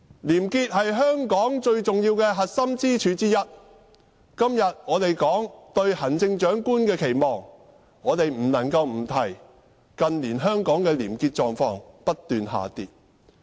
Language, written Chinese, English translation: Cantonese, 廉潔是香港最重要的核心支柱之一，今天我們討論對行政長官的期望時，我們不能不指出近年香港的廉潔狀況不斷惡化。, Honesty is one of the most important core pillars of Hong Kong . Today when we discuss our expectations for the next Chief Executive we must point out that Hong Kong has been regressing in terms of honesty in recent years